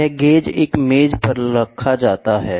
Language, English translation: Hindi, This gauge is resting on a table